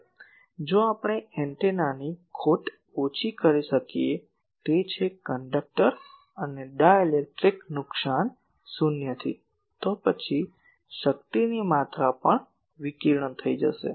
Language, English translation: Gujarati, Now, if we can make antenna loss less, that is conductor and dielectric loss to zero, then that amount of power also will get radiated